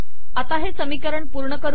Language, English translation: Marathi, Lets complete this equation